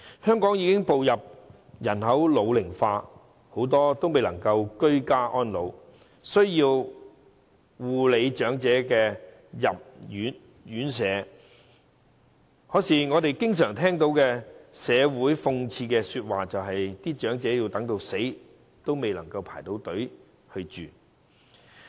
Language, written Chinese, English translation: Cantonese, 香港已經步入人口老齡化，很多未能居家安老及需要護理的長者均要入住院舍，但諷刺的是，我們常聽到社會說：長者等到死，也未能入住院舍。, The population of Hong Kong is ageing . Many elderly persons who cannot age at home and need care have to stay in residential homes . Ironically the comment we hear in society frequently is that Elderly persons waiting for a place in residential care homes die before they can get one